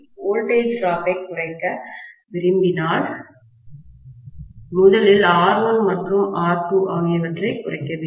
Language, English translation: Tamil, If we want to reduce the voltage drop, R1 and R2 dash first of all have to be decreased